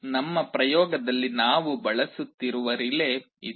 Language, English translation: Kannada, This is the relay that we shall be using in our experiment